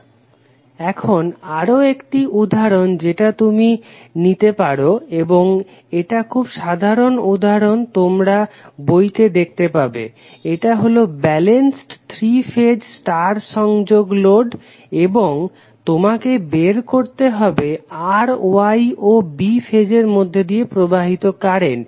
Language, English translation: Bengali, Now, another example which you can take and this is very common example you will see in book, this is balanced star connected 3 phase load and we need to determine the value of currents flowing through R, Y and B phase